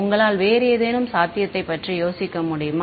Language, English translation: Tamil, Can you think of any other possibility